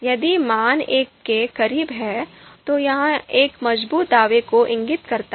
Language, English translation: Hindi, If the value is closer to one, then it indicates stronger assertion